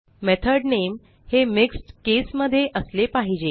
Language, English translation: Marathi, The method name should be the mixed case